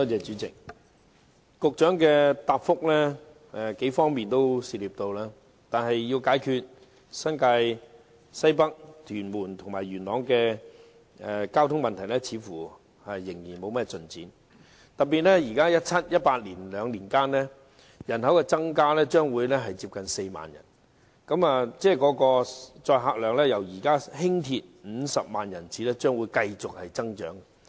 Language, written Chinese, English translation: Cantonese, 主席，局長的主體答覆涉及數方面，但在解決新界西北、屯門和元朗的交通問題方面，似乎卻仍然沒有甚麼進展。特別是在2017年至2018年這兩年間，該區人口增加將會達到近4萬人，輕鐵的乘客量將會由現時的50萬人次繼續增長。, President the main reply given by the Secretary covers several aspects but there seems to be little progress in solving the traffic problems in NWNT Tuen Mun and Yuen Long especially in the two years from 2017 to 2018 when the population in the district will reach almost 40 000 and the patronage of LR will continue to grow from the current 500 000 passenger trips